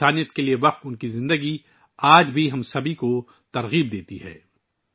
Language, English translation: Urdu, Her life dedicated to humanity is still inspiring all of us